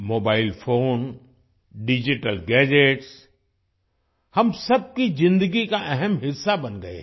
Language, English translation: Hindi, Mobile phones and digital gadgets have become an important part of everyone's life